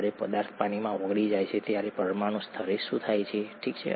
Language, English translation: Gujarati, What happens at a molecular level when a substance dissolves in water, okay